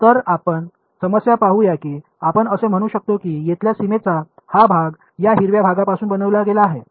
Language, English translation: Marathi, So let us see the problem that let us say that this part of the boundary over here is made out of this green part